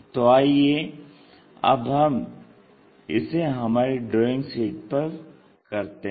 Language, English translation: Hindi, So, let us do that on our drawing sheet